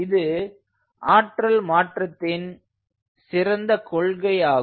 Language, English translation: Tamil, this is a good principle of energy conversion